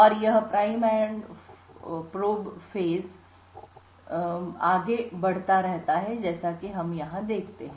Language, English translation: Hindi, And this prime and probe phase gets continues over and over again as we see over here